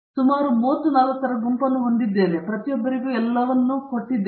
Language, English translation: Kannada, That I have a group of about 30 40 and we have everybody for everything